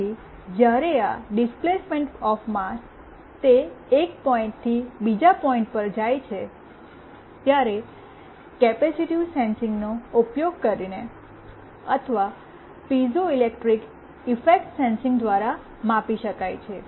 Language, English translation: Gujarati, So, the displacement of this mass when it is moved from one point to another, can be measured using either capacitive sensing or through piezoelectric effect sensing